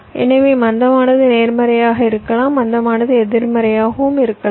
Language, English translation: Tamil, so slack can be positive, slack can be negative